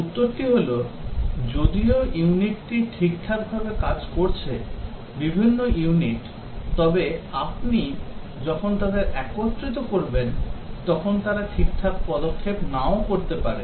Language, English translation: Bengali, The answer is that, even though the unit may be working all right, the different units, but when you integrate them they may not be interfacing all right